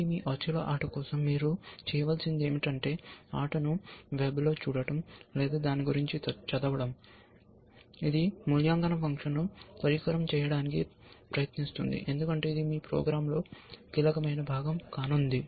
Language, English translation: Telugu, So, what you will need to do, for your othello game is to, look at the game, on the web or read about, what it in try to device an evaluation function, because that is going to be critical part of your program essentially